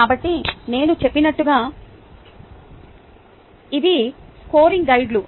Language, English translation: Telugu, so, as i mentioned, these are scoring guides